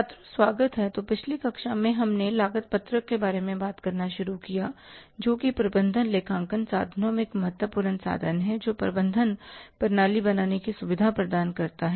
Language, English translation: Hindi, So, in the previous class we started talking about the cost sheet which is one important tool in the management accounting which facilitates the management decision making